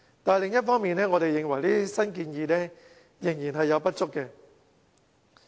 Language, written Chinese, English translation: Cantonese, 但是，另一方面，我們認為這些新建議仍不足。, But on the other hand we believe these new proposals are still not adequate